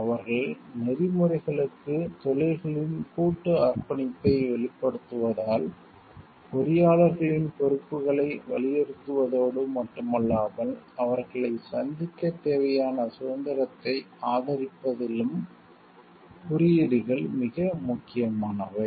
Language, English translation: Tamil, Because they express professions collective commitment to ethics, codes are enormously important not only in stressing engineers responsibilities, but also in supporting the freedom needed to meet them